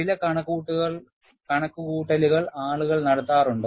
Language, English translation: Malayalam, And there are certain calculations, people do